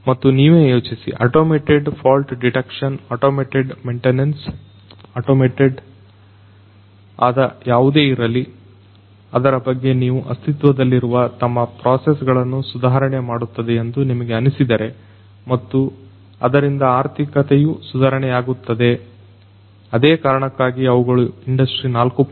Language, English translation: Kannada, And, also think about automated fault detection, automated maintenance, automated anything that you can think about that is going to improve their existing processes and consequently monetarily they are going to be improved and that is why they are going to strive towards the adoption of industry 4